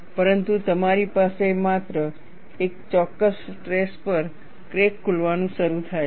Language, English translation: Gujarati, But you have, at a particular stress only, the crack starts opening